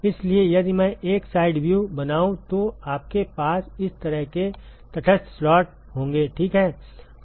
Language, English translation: Hindi, So, if I draw a side view you will have non aligned slots like this, ok